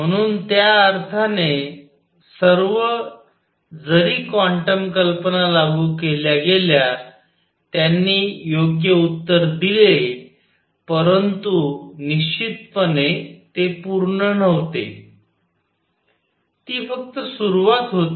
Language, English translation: Marathi, So, in that sense, all though quantum ideas were applied, they gave the right answer, but certainly it was not complete, it was just the beginning